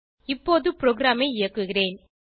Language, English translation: Tamil, Let me run the program now